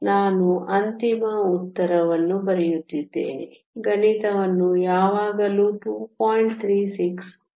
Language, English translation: Kannada, I am just writing down the final answer, the math can always be worked out are 2